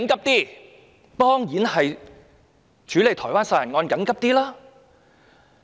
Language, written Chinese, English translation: Cantonese, 當然是處理台灣殺人案較為緊急。, Actions are of course more urgently needed to handle the Taiwan homicide case